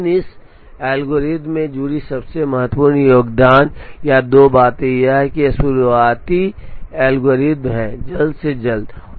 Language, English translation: Hindi, But the most important contribution or two things associated with this algorithm is that it is a very early algorithm one of the earliest